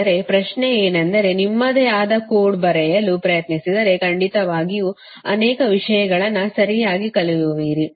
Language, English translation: Kannada, but my question is that if you try to write code of your own, then definitely you will learn many things, right